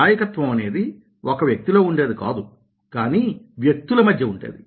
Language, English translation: Telugu, leadership is not in a person but between people